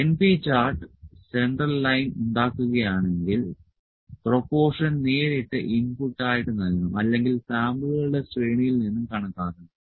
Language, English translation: Malayalam, If np chart produce the central line proportion maybe input directly, or it may be estimated from the series of samples